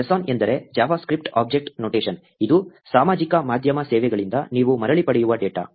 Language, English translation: Kannada, JSON means, JavaScript Object Notation, which is a data that you get back from the social media services